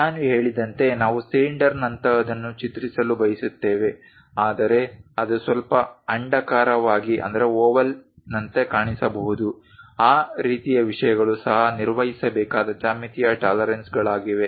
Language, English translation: Kannada, As I said we would like to draw ah we would like to prepare something like cylinder, but it might look like slightly oval, that kind of things are also geometric tolerances one has to maintain